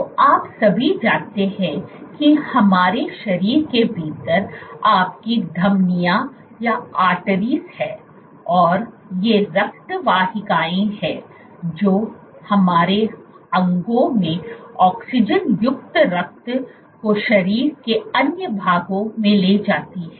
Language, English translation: Hindi, So, all of you know that you have Arteries within our body and these are blood vessels that carry oxygen rich blood to our organs to other parts of the body